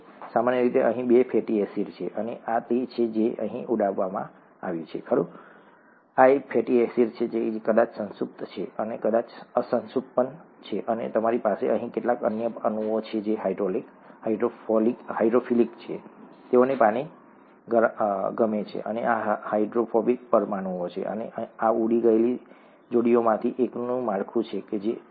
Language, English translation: Gujarati, Typically there are two fatty acids here and this is what has been blown up here, right, these are the fatty acids, this is probably saturated, this is probably unsaturated, and you have some other molecules here which are hydrophilic, they like water, and these are hydrophobic molecules, and this is a structure of one of this pair blown up, okay